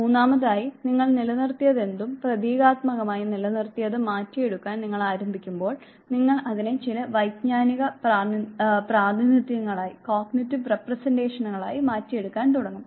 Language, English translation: Malayalam, Third, when you start converting whatever you have retained the symbolic retention you start converting it into some cognitive representations into appropriate actions